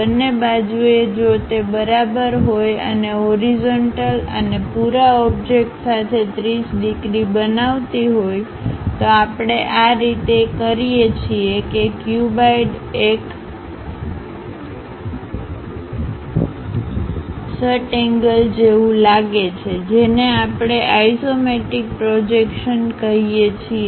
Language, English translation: Gujarati, On both sides if it is equal and making 30 degrees with the horizontal and the entire object we orient in such a way that a cuboid looks like a hexagon such kind of projection what we call isometric projection